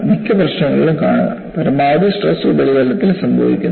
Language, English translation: Malayalam, In most of the problems, maximum stress occurs at the surface